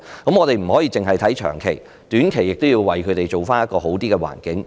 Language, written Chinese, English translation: Cantonese, 我們不可以只看長期，短期來說也要為他們營造較佳的環境。, We cannot just look to long - term initiatives . We should also create a better environment for them in the short term